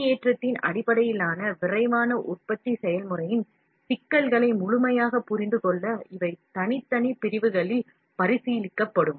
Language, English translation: Tamil, There these will be considered in separate sections to fully understand the intricacies of extrusion based rapid manufacturing process